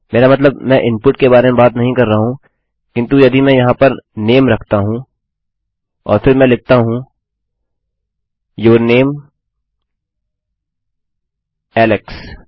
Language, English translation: Hindi, I mean Im not talking about input but if I put the name here and then I say your name, Alex This is how it works